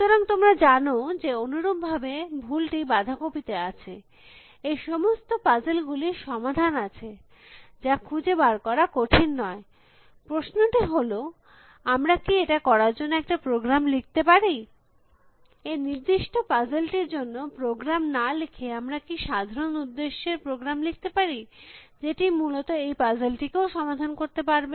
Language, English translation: Bengali, So, you know likewise the mistake is in cabbage, all of these puzzles have solutions, which are not so hard to find, can we write a program to do that is the question, without having to write a programs specifically for this puzzle, can we write general purpose program still solve puzzles like these essentially